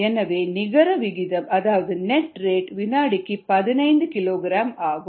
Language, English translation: Tamil, so the net rate happens to be fifteen kilogram per second